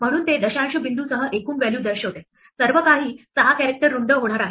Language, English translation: Marathi, So it says the total value including the decimal point, everything is going to be 6 characters wide